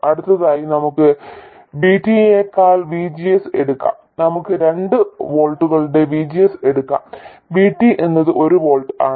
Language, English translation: Malayalam, Next, let's take VGS more than VT, let's say VGS of 2 volts and VT is 1 volt